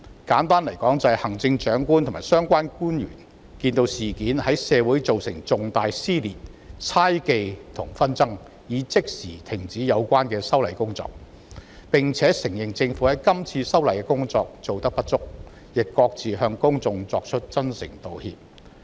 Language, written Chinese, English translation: Cantonese, 簡單來說，就是行政長官及相關官員看到事件在社會造成了重大撕裂、猜忌和紛爭後，已即時停止有關的修例工作，並承認政府今次修例的工作做得不足，亦各自向公眾作出真誠道歉。, Simply put when the Chief Executive and relevant officials saw the serious dissension conjecture and dispute arising from the legislative amendment exercise they immediately stopped the exercise and admitted the deficiencies of the Government in the relevant work and had individually offered their sincere apologies to the public